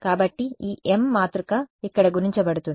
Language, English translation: Telugu, So, this m matrix will then get multiplied over here